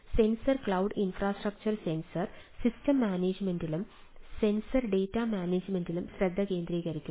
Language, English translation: Malayalam, that sensor cloud infrastructure focuses on sensor system management and sensor data management